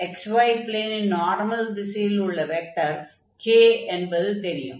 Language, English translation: Tamil, So we know that the k, this vector is normal to the xy plane